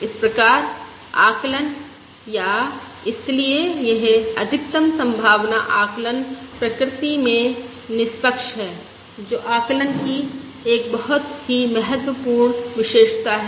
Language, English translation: Hindi, Therefore, the estimate, or therefore this maximum likelihood estimate, is unbiased in nature, which is a very important property of the estimate